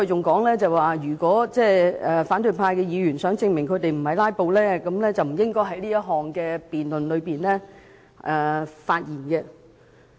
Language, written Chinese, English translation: Cantonese, 他還指出如反對派議員想證明他們並非"拉布"，便不應在是項辯論中發言。, He also pointed out that if Members of the opposition camp wished to prove that they were not filibustering they should not speak in the debate